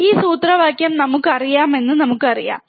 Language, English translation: Malayalam, This is the formula we know we know this formula, right